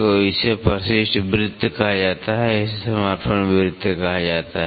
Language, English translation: Hindi, So, this is called as the addendum circle, this is called as the dedendum circle